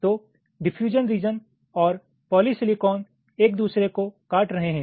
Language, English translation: Hindi, so ah, diffusion region and a polysilicon region is intersecting, now you see